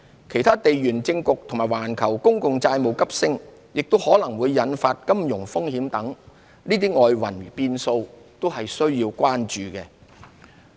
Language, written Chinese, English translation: Cantonese, 其他地緣政局及環球公共債務急升可能引發的金融風險等外圍變數，均須關注。, External factors such as geopolitical situations and possible financial risks associated with the surging global public debt also warrant attention